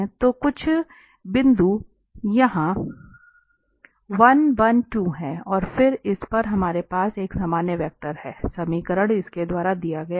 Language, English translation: Hindi, So, there is some point this 1, 1, 2 somewhere there, and then at this we have this normal vector the equation is given by this one